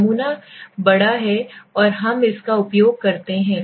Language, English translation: Hindi, The sample is large and we use this okay